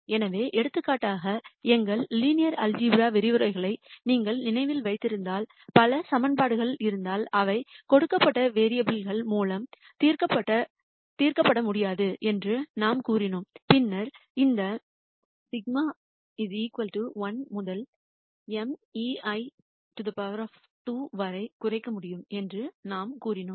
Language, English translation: Tamil, So, for example, if you remember back to our linear algebra lectures we said if there are many equations and they cannot be solved with a given set of variables then we said we could minimize this sigma i equal to 1 to m e i square